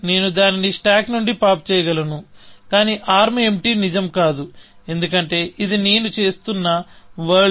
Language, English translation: Telugu, So, I can pop that from the stack, but arm empty is not true, because this is the world that I am looking at